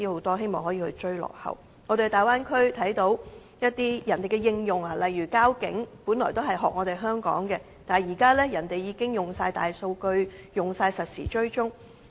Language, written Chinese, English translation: Cantonese, 我們在大灣區看到人家的科技應用，例如交通警察，本來也是仿效香港的一套，但現時人家已全面採用大數據，實時追蹤。, In the Bay Area we could see the application of technology by other people . For example the traffic police there originally followed the practices of Hong Kong . However big data have now been fully utilized to provide real - time tracking